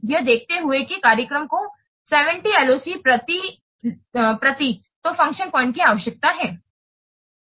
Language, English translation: Hindi, It said that the program needs 70 LOC per function point